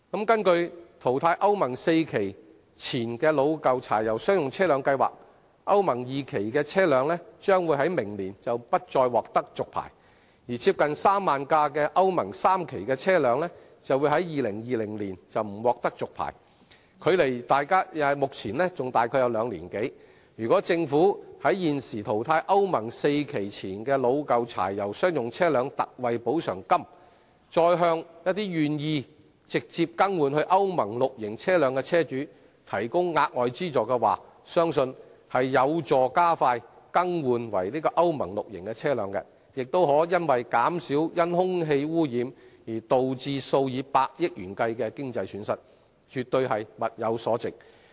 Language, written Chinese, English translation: Cantonese, 根據淘汰歐盟 IV 期以前老舊柴油商用車輛計劃，歐盟 II 期的車輛將於明年不再獲續牌，而接近3萬輛歐盟 III 期車輛將於2020年不獲續牌，距離現時還有兩年多，如果政府除了提供現時淘汰歐盟 IV 期以前老舊柴油商用車輛的特惠補償金，再向一些願意直接更換至歐盟 VI 期車輛的車主提供額外資助，相信有助加快更換為歐盟 VI 期車輛的進度，也可減少因空氣污染而導致數以百億元計的經濟損失，絕對物有所值。, Under the scheme for phasing out aged pre - Euro IV diesel commercial vehicles the licenses of Euro II vehicles will no longer be renewed from next year onwards while those of nearly 30 000 Euro III vehicles will not be renewed by 2020 with some two years to go . I believe if the Government apart from the existing ex - gratia payment for phasing out aged pre - Euro IV diesel commercial vehicles can further provide those vehicle owners who are willing to replace their vehicles with Euro VI ones direct with additional financial support it will help speed up the progress of replacement of such vehicles with Euro VI models and also reduce a financial loss amounting to tens of billion dollars incurred by air pollution . It is absolutely worth it